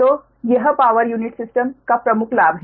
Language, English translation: Hindi, right, so this is the major advantage of power unit system